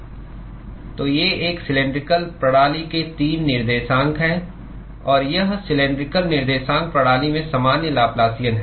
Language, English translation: Hindi, So, these are the 3 coordinates of a cylindrical system; and this is the general Laplacian in the cylindrical coordinate system